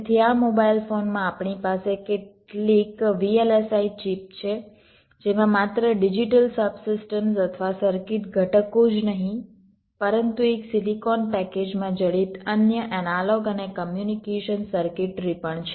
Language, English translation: Gujarati, l s i chip which contains not only the digital sub systems or circuit components but also other analog and communication circuitry embedded in a single silicon package